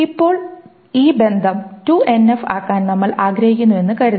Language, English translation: Malayalam, Now, suppose we want to make this relationship into 2NF, so that this process is called a 2NF normalization